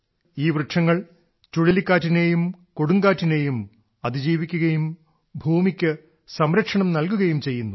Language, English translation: Malayalam, These trees stand firm even in cyclones and storms and give protection to the soil